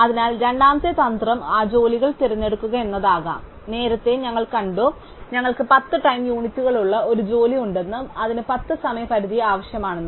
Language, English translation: Malayalam, So, the second strategy might be to pick those jobs, so earlier we saw that we had a job which had 10 time units and it will also need it had a deadline of 10